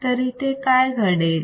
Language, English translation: Marathi, So, here what is given